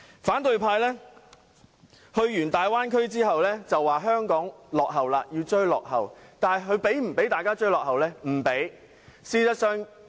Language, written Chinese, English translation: Cantonese, 反對派議員到過粵港澳大灣區後表示香港落後了，要追落後，但他們有否讓香港人追落後？, After paying a visit to the Guangdong - Hong Kong - Macao Bay Area opposition Members are now saying that Hong Kong has fallen behind and needs to play catch - up but do they allow Hong Kong people to play catch - up?